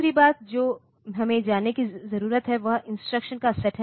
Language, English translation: Hindi, Second thing that we need to know is the set of instructions